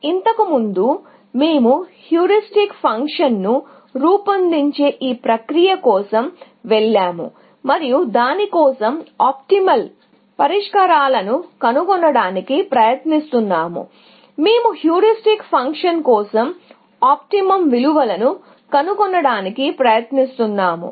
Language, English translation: Telugu, Earlier, we went for this process of devising the idea of a heuristic function, and trying to find optimal solutions for that, or trying to find optimum values for the heuristic function